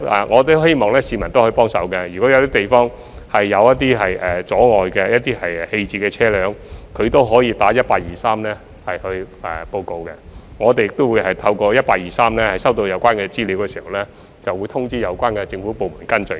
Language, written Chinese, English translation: Cantonese, 我希望市民可以幫忙，如果有些地方有棄置車輛構成阻礙，可以致電1823報告，我們亦會在透過1823收到有關資料後，通知有關政府部門跟進。, I hope members of the public can offer help by calling 1823 to report any abandoned vehicles that are causing obstruction in some places . We will also inform the relevant government departments to follow up upon receiving the relevant information via 1823